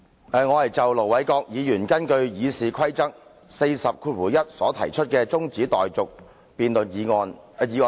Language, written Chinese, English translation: Cantonese, 主席，我要就盧偉國議員根據《議事規則》第401條動議的中止待續議案發言。, President I will speak on the adjournment motion moved by Ir Dr LO Wai - kwok under Rule 401 of the Rules of Procedure RoP